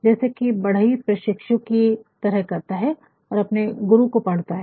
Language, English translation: Hindi, Just like a carpenter who works as an apprentice and studies the master